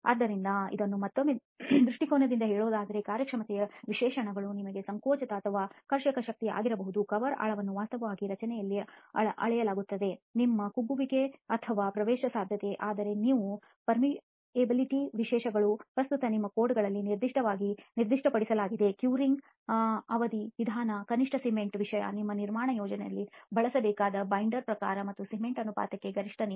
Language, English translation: Kannada, So again just to put this in perspective again the performance specifications could be your compressive or tensile strength, the cover depth which is actually measured in the structure, your shrinkage or permeability, whereas your prescriptive specifications are what are currently specified in your codes in terms of the curing duration method, minimum cement content, the type of binder to be used in your construction project and the maximum water to cement ratio